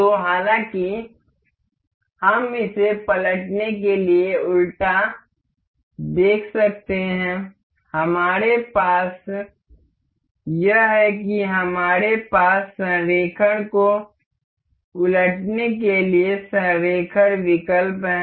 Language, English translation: Hindi, So however, we can see this inverted to flip this, we have this we have option to alignment to invert the alignment